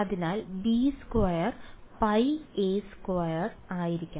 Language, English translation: Malayalam, So, b squared should be pi a squared ok